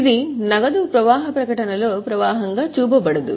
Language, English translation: Telugu, It will not be shown as a flow in the cash flow statement